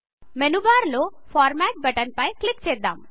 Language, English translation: Telugu, Click on Format button on the menu bar